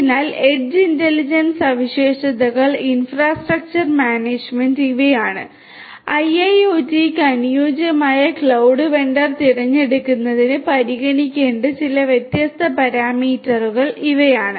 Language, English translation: Malayalam, So, edge intelligence features infrastructure management these are some these different parameters that can be taken into consideration for choosing the right cloud vendor for IIoT